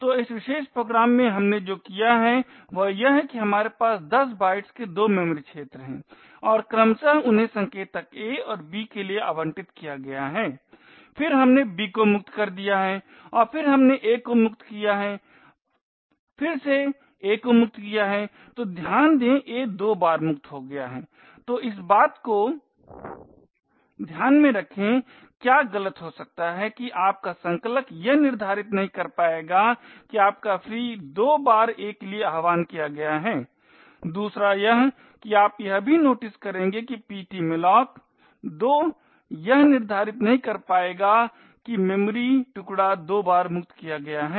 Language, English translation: Hindi, So in this particular program what we have done is that we have malloc two memory regions of 10 bytes each and allocated them to pointers a and b respectively then we have freed a we have freed b and then we have feed a again, so note that a is freed twice so what can go wrong with this first of all note that your compiler will not be able to determine that your free a is invoked twice, secondly you will also notice that ptmalloc two will not be able to determine that the memory chunk a is freed twice